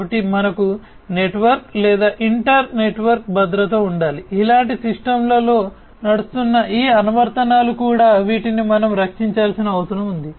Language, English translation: Telugu, So, we need to have network or inter network security we also need to ensure that these applications that are running on the system like these ones these also will we will need to be protected